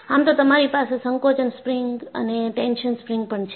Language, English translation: Gujarati, And if you really look at, you have a compression spring or a tension spring